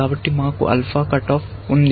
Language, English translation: Telugu, So, we have an alpha cut off